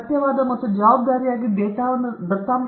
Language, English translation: Kannada, Truthful and responsible data management